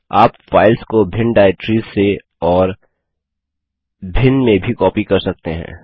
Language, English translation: Hindi, You can also copy files from and to different directories.For example